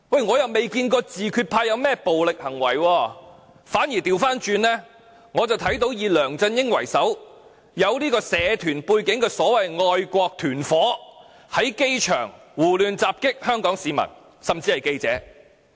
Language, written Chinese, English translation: Cantonese, 我卻未見過自決派有任何暴力行為；相反，我看到以梁振英為首並有社團背景的所謂"愛國團夥"，在機場襲擊香港市民，甚至記者。, I however have never seen the self - determination camp commit any act of violence . On the contrary I have seen the so - called patriotic gangs which are headed by LEUNG Chun - ying and have a triad background assaulting Hong Kong citizens or even reporters in the airport